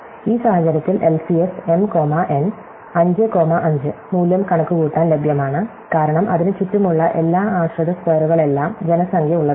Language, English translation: Malayalam, So, LCS m comma n, 5 comma 5 in this case, the value is available to compute, because everything around it the three dependent squares around it are all populated